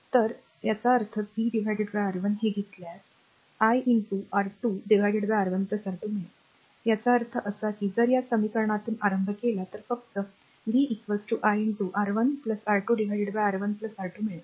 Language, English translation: Marathi, So, and ah your; that means, v upon R 1, if you take this one you will get i into R 2 upon R 1 plus R 2; that means, your if you just ah just hold on from this equation only you will get v is equal to i into R 1 plus R 2 upon R 1 plus R 2